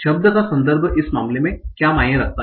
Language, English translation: Hindi, So, this is what the context, the word context means in this case